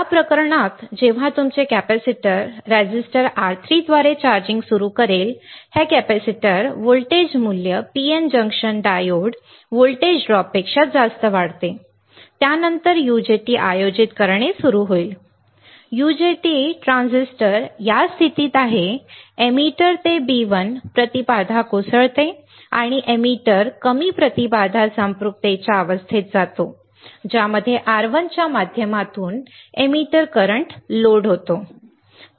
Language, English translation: Marathi, In this case when your capacitor will start charging through the resistors R3, this capacitor voltage values increases more than the PN junction diode volt drop, then the UJT will start conducting, the UJT transistor is in on condition at this point emitter to B1 impedance collapses and emitter goes into low impedance saturation stage with a for load of emitter current through R1 taking place, correct